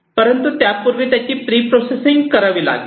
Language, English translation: Marathi, But before that it has to be pre processed